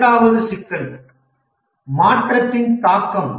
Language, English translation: Tamil, The second problem is change impact